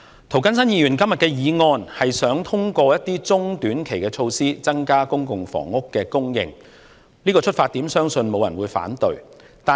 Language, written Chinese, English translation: Cantonese, 涂謹申議員今天的議案，是想通過一些中短期的措施，增加公共房屋供應，這個出發點相信沒有人會反對。, The motion proposed by Mr James TO today seeks to increase the supply of public housing through short - term and medium - term measures . I believe no one would object to such an aim